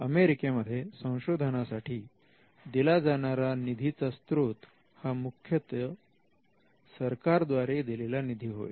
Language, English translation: Marathi, Now, in the United States the major funding happens through government funded research